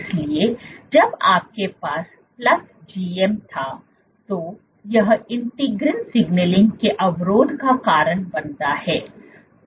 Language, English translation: Hindi, So, when you had plus GM this leads to inhibition of integrin signaling